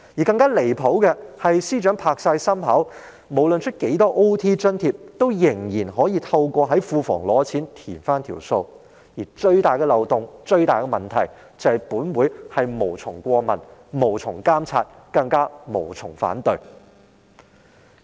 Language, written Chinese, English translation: Cantonese, 更加離譜的是，司長保證無論批出多少加班津貼，仍可透過向庫房提出撥款申請來抵銷有關開支，而最大的漏洞和問題是，本會是無從過問、無從監察，更加無從反對。, It is even more outrageous that the Financial Secretary has guaranteed that no matter how much money is allocated for the payment of overtime allowance the relevant expenses can always be offset by submitting funding applications to the Treasury . The biggest loophole and problem lie in the fact that this Council cannot look into the matter monitor the arrangements and express its objection